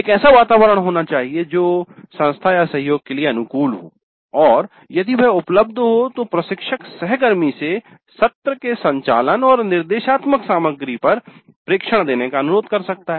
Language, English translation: Hindi, So there must exist an environment which is conducive to cooperation and if that is available then the instructor can request the colleague to give observations on the contact of the sessions and the instructional material